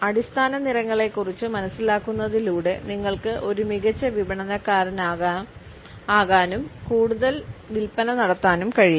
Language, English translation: Malayalam, With an understanding of the basic colors, you can become a better marketer and make more sales